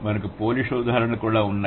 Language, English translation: Telugu, Then we have Polish examples, this language